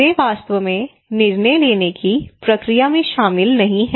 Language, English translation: Hindi, They are not really incorporated into the decision making process